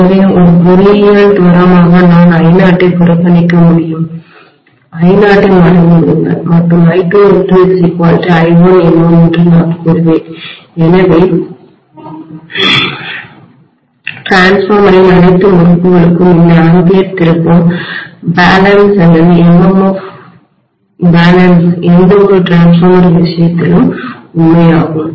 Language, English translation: Tamil, So I can just say by, as an engineering approximation I can neglect I0, just forget about I0 and I would say that I1 N1 should be equal to I2 N2, so I can say I1 by I2 equal to N2 by N1, this ampere turn balance or MMF balance of all the windings of the transformer is true in any case of a transformer